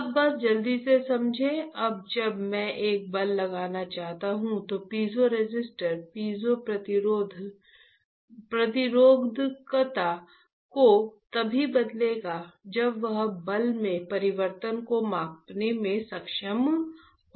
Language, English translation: Hindi, Right now just understand quickly, now when I want to apply a force the piezoresistor will change the piezoresistivity only when it will it is able to measure the change in the force